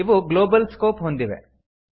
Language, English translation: Kannada, These have a Global scope